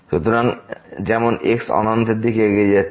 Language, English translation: Bengali, So, this will approach to infinity